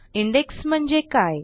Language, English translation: Marathi, What is an Index